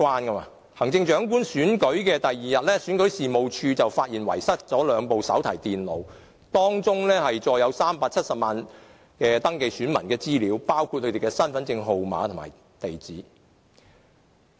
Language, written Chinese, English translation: Cantonese, 在行政長官選舉的第二天，選舉事務處發現遺失兩部手提電腦，當中載有370萬名登記選民的資料，包括他們的身份證號碼和地址。, On the day following the Chief Executive Election the Registration and Electoral Office REO discovered the loss of two notebook computers which contained the personal data of 3.7 million electors including their identity card numbers and addresses